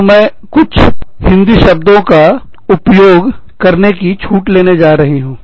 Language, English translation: Hindi, So, i am going to take the liberty, of using Hindi words